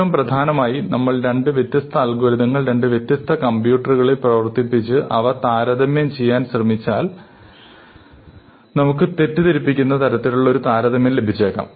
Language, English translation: Malayalam, More importantly, if we are trying to compare two different algorithms, then if we run one algorithm on one computer, run the other on another computer, we might get a misleading comparison